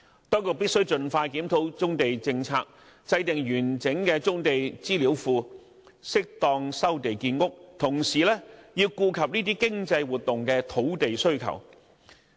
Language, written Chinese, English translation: Cantonese, 當局必須盡快檢討棕地政策，設立完整的棕地資料庫，適當收地建屋，同時顧及這些經濟活動的土地需求。, The authorities must expeditiously review their policy on brownfield sites set up a comprehensive brownfield database and resume land for housing construction where appropriate while taking into account the land demand of such economic activities